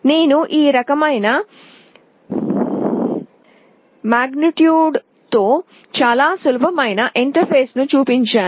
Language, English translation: Telugu, I have shown a very simple interface with this kind of module